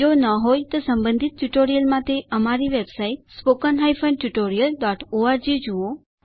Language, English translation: Gujarati, If not,For relevant tutorials Please visit our website http://spoken tutorial.org